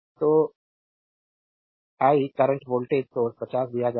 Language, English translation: Hindi, So, and the I current voltage source is given 50